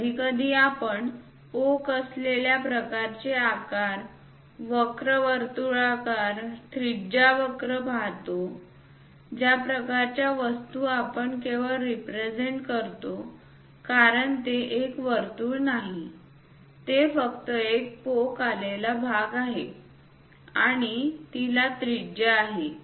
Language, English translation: Marathi, Sometimes we see hump kind of shapes, curves circular radius curves that kind of thing we only represent because it is not a circle, it is just a hump and it has a radius